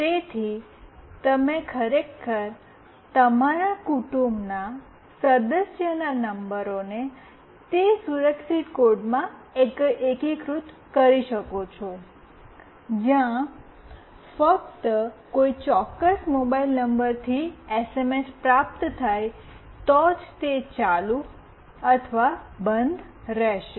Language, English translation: Gujarati, So, you can actually integrate those numbers of your family member in a secure code, where only it will be on or off if the SMS is received from a particular mobile number